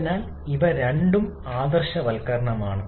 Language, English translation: Malayalam, So, these two are the idealizations